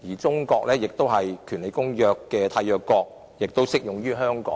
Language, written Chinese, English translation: Cantonese, 中國是《公約》的締約國，因此《公約》適用於香港。, China is a signatory to the Convention so the Convention also applies to Hong Kong